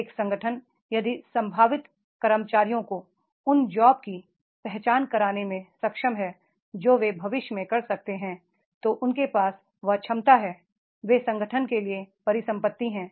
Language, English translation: Hindi, An organization if is capable to identify the potential employees, employees with the jobs which they can do in future that potential they have, they are the assets